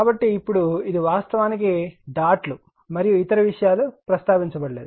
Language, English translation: Telugu, So, if you now this is actually what dots and other things not mentioned